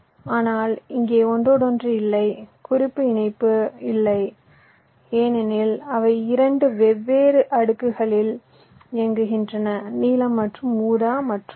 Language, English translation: Tamil, but here there is no interconnection, no cross connection, because they are running on two different layers, blue and purple